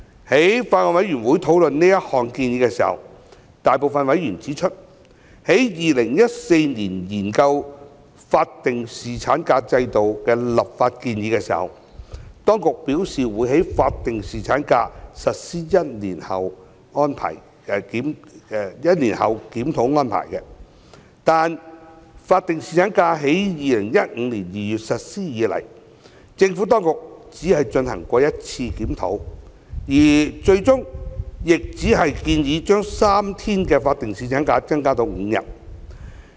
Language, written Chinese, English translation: Cantonese, 在法案委員會討論這項建議時，大部分委員指出，在2014年研究法定侍產假制度的立法建議時，當局表示會於法定侍產假實施1年後檢討安排，但自法定侍產假於2015年2月實施以來，政府當局只進行了一次檢討，而最終亦只建議將3天法定侍產假增加至5天。, In discussing this proposal at the Bills Committee a majority of the members mentioned the Administrations commitment in 2014 when the legislative proposal of a statutory paternity leave regime was considered . The Administration undertook at that time that it would review the arrangement of statutory paternity leave one year after its implementation . However since the implementation of statutory paternity leave in February 2015 the Administration has only conducted one review which led to the proposed increase of statutory paternity leave from three days to five days